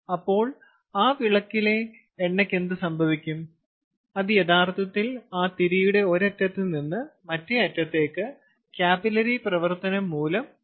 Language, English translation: Malayalam, then the, the oil that is in that lamp, in the dia, actually goes from one end of that wick to the other end, which is lighted because of the capillary reaction